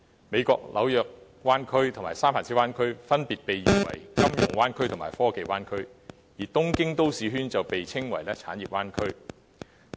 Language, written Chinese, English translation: Cantonese, 美國的紐約灣區及三藩市灣區分別被譽為"金融灣區"及"科技灣區"；而東京都市圈則被稱為"產業灣區"。, The New York Bay Area and the San Francisco Bay Area of the United States are respectively known as the Financial Bay Area and the Technology Bay Area and the Tokyo Metropolitan Region is known as the Industrial Bay Area